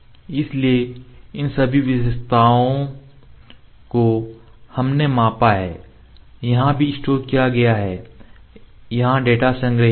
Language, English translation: Hindi, So, all these features that we measured are also store here the data is stored